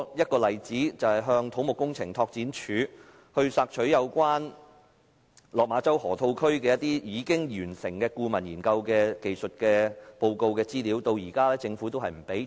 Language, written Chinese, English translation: Cantonese, 舉例來說，我最近向土木工程拓展署索取有關落馬洲河套區已完成的顧問研究的技術報告資料，至今政府仍未提供。, For example recently I made a request to the Civil Engineering and Development Department for information on the report on the technical studies completed by the consultant on the Lok Ma Chau Loop but the Government has yet to provide it to me